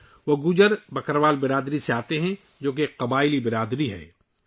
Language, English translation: Urdu, He comes from the Gujjar Bakarwal community which is a tribal community